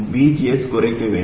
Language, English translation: Tamil, So VGS must reduce